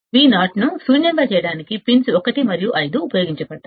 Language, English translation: Telugu, Pins 1 and 5 are used for offsetting Vo to null